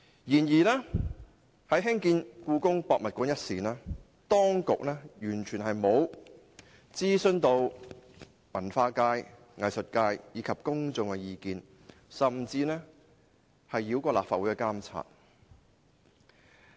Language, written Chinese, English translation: Cantonese, 然而，在決定興建香港故宮文化博物館前，當局完全沒有諮詢文化界、藝術界及公眾的意見，甚至繞過立法會的監察。, However prior to making the decision on the construction of the Hong Kong Palace Museum HKPM the authorities have neither consulted the cultural sector nor the arts sector and the public and the authorities have even circumvented the regulation of the Legislative Council